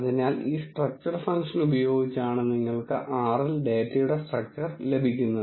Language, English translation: Malayalam, So, the way you get the structure of data in R is using this structure function